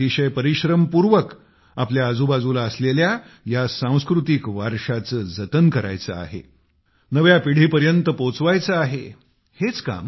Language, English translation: Marathi, We have to work really hard to enrich the immense cultural heritage around us, for it to be passed on tothe new generation